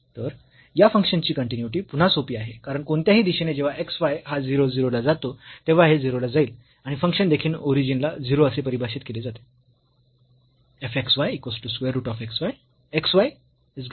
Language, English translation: Marathi, So, the continuity of this function is again simple because when x y go goes to 0 0 from any direction this will go to 0 and the function is also defined as 0 at the origin